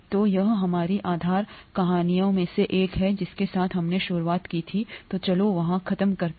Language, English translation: Hindi, So this is this is one of our base stories with which we started out, so let’s finish up there